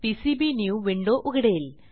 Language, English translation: Marathi, This will open PCBnew window